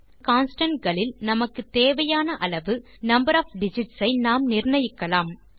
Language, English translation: Tamil, Also we can define the number of digits we wish to have in the constants